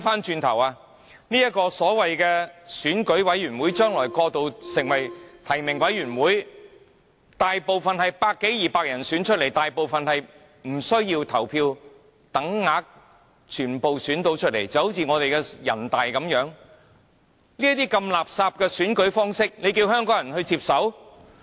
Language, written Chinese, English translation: Cantonese, 這個選舉委員會將來會過渡成為提名委員會，當中大部分委員是由百多二百人選出來，他們大部分獲等額票數當選，正如人大一樣，如此垃圾的選舉方式，香港人怎能接受？, The Election Committee will transform into a nominating committee later . Most of its committee members have been elected by some 200 people and similar to the case of NPCSC a majority of them got equal numbers of votes . How are we supposed to accept such a trashy election method?